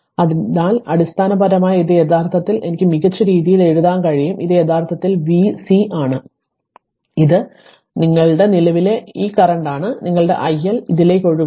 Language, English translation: Malayalam, So, basically this is actually I can write in better way this is actually v C and it is your what you call this current i your I L is flowing to this